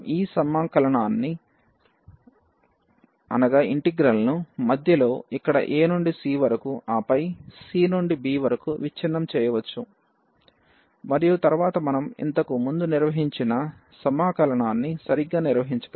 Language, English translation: Telugu, We can also break this integral at some middle at some other point here like a to c and then c to b and then we can handle exactly the integrals we have handled before